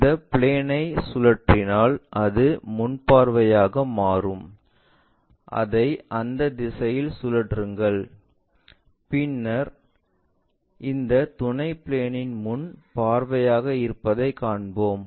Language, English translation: Tamil, This is the plane if we are rotating it then that becomes the front view, rotate it in that direction then we will see that is as the frontal view of this auxiliary plane